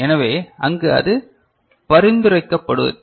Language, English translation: Tamil, So, that is where it is not suggested